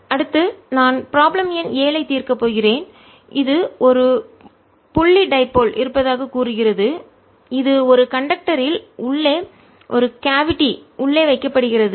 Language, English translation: Tamil, next i am going to solve problem number seven, which says there is a point dipole which is put inside a cavity in a conductor